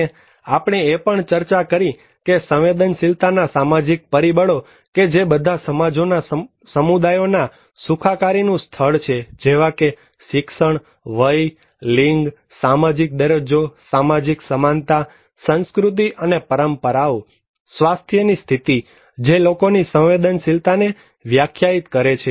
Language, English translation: Gujarati, And as we discussed also that social factor of vulnerability are the level of well being the communities of societies like education, age, gender, social status, social equality, culture and traditions, health conditions they all define the vulnerability of the people